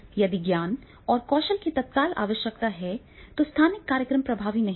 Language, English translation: Hindi, If there is an urgency of the knowledge and skill, then the space program that will not be more effective